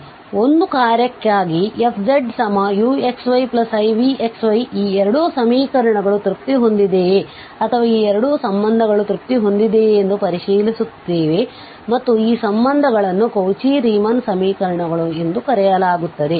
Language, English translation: Kannada, So, for a function f z, u x plus i v y if we have these 2 functions 2 equations are satisfied or these 2 relations are satisfied and these relations are called the Cauchy Riemann equations